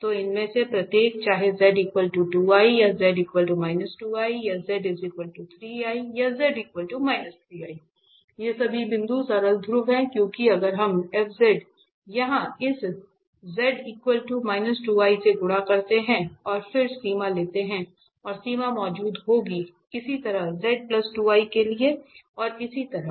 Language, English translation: Hindi, So, these each of them whether z equal to 2 i or z equal to minus 2 i or z equal to 3 i or z equal to minus 3 i, all these points are simple poles because if we multiply by z minus 2 i for instance to this f z here this z minus 2 i and then take the limit and the limit will exist, similarly, for z plus 2 i and so on